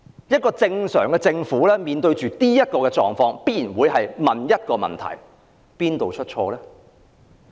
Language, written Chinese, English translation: Cantonese, 一個正常的政府面對這種狀況，必定會問究竟哪裏出錯？, A normal government will naturally ask what has gone wrong in the face of this situation